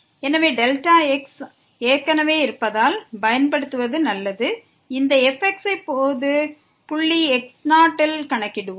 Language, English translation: Tamil, So, better to use because delta is already there let us compute this at general point 0